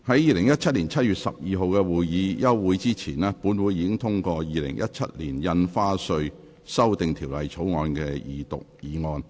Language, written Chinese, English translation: Cantonese, 在2017年7月12日的會議休會前，本會已通過《2017年印花稅條例草案》的二讀議案。, Before the adjournment of the meeting of 12 July 2017 this Council passed the motion for the Second Reading of the Stamp Duty Amendment Bill 2017